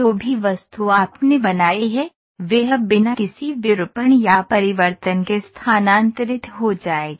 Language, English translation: Hindi, The object whatever you have created, will be shifted without any deformation or change